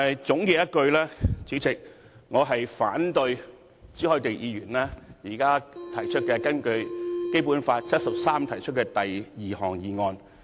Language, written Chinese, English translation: Cantonese, 總括而言，主席，我反對朱凱廸議員現時根據《基本法》第七十三條提出的第二項議案。, In gist President I oppose the second motion proposed by Mr CHU Hoi - dick under Article 73 of the Basic Law